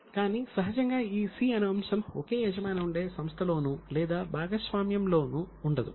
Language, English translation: Telugu, Obviously, this item C is not there for a proprietary concern or for a partnership concern